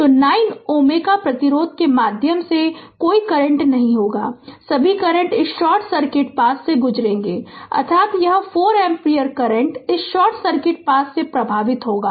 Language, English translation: Hindi, So, there will be no current through 9 ohm resistance all current will go through this short circuit path, that means this 4 ampere current will flow through this short circuit path